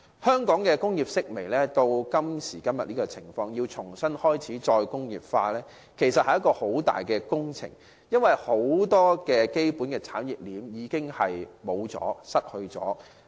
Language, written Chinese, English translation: Cantonese, 香港工業式微至今時今日這種情況，要開展"再工業化"，其實是一項極大的工程，因為很多基本產業鏈已消失。, Given the current decline of Hong Kongs industries it is in fact an extremely arduous task to launch re - industrialization nowadays because many basic industry chains have already disappeared